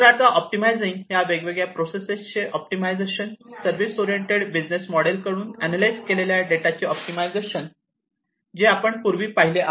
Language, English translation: Marathi, So, optimizing of optimization of these different processes; optimization of the data that is analyzed by the service oriented business model, that we talked about earlier